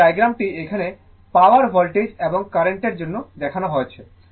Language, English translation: Bengali, And the diagram is shown here for the power voltage and current right